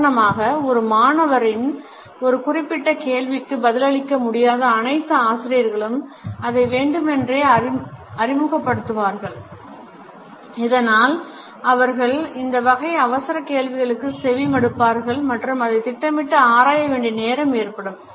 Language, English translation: Tamil, For example all those teachers who are unable to answer to a particular question by a student, would deliberately introduced it so that they would keep on listening with these non fluencies and it would give them time to plan